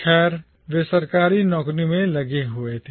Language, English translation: Hindi, Well, they were engaged in government employments